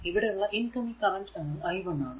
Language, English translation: Malayalam, And outgoing currents are i 2 and i 3